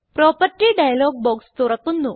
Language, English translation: Malayalam, The property dialog box opens below